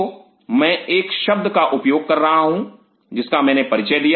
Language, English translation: Hindi, So, I am just using a word which I have been introduced